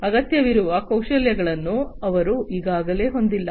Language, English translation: Kannada, They do not already have the requisite skills that are required